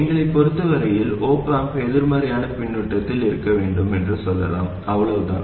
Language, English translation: Tamil, As far as we are concerned, we can say that the op am must be in negative feedback, that is all